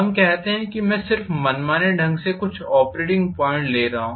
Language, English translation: Hindi, Let us say I am just arbitrarily taking some operating point